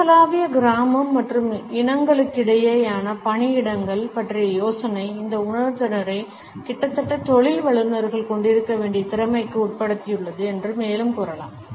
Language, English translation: Tamil, Further we can say that the idea of the global village and the interracial workplaces has made this sensitivity almost a must skill which professionals today must possess